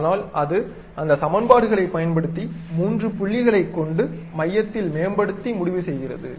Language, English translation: Tamil, But what it has done is using those three points optimize the equations to fix the center